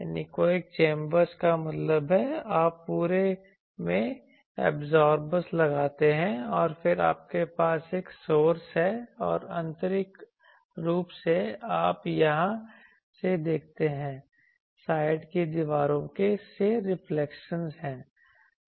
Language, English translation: Hindi, Anechoic chambers means, you put absorbers throughout and then you have a source and internally you see from here from the side walls there is reflections